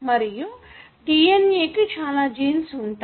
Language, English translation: Telugu, Also, the DNA has got several genes